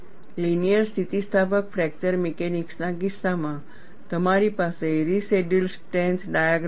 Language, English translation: Gujarati, In the case of linear elastic fracture mechanics, you will have a residual strength diagram